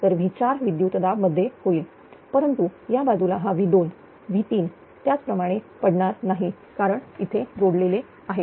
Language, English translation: Marathi, So, V 4 voltage will increase, but in this side that V 2 V 3 it will not be affected that way right because it is it is a connected here